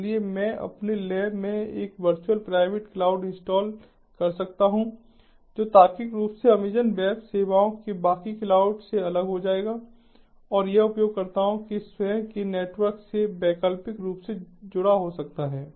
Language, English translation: Hindi, so i can install in my lab a virtual private cloud which will be logically separating ah from the rest of the amazon web services cloud and this can be optionally connected to the users own network